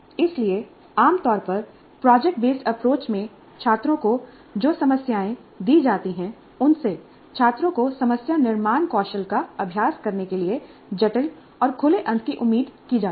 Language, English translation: Hindi, So the problems that are generally given to the students in product based approach are expected to be complex and open ended in order to make the students practice even the problem formulation skills